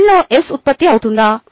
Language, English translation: Telugu, is s being generated in the cell